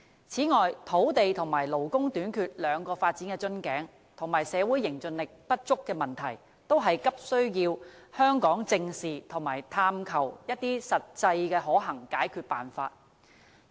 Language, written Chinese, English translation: Cantonese, 此外，對於土地和勞工短缺兩個發展瓶頸，以及社會凝聚力不足的問題，香港都急需正視，並探求實際可行的解決辦法。, Furthermore the two development bottlenecks of land and labour shortage coupled with the lack of social cohesiveness are areas urgently requiring Hong Kong to squarely address and to explore practicable solutions